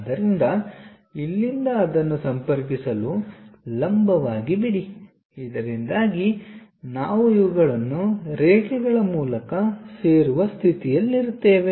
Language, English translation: Kannada, So, from here drop a perpendicular to connect it so that, we will be in a position to join these by lines